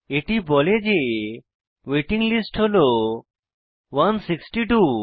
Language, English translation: Bengali, It says that wait listed , 162